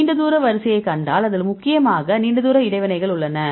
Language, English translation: Tamil, So, if you see the long range order which we involves mainly long range interactions right